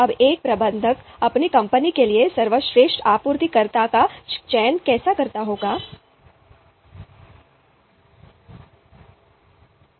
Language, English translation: Hindi, Now, how do a manager goes about selecting a you know a best supplier for their company